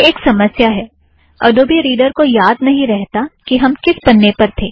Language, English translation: Hindi, IT is a problem, adobe reader does not remember the page that is being viewed